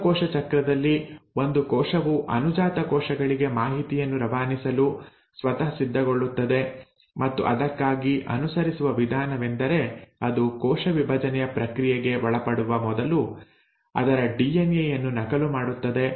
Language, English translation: Kannada, Remember I told you that in cell cycle a cell prepares itself to pass on the information to the daughter cells and the way it does that is that it first duplicates its DNA before actually dividing and undergoing the process of cell division